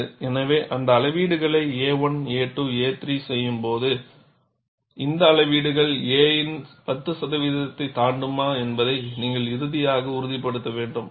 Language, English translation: Tamil, So, when you make the measurements a 1, a 2, a 3, you have to ensure, finally, whether these measurements exceed 10 percent of a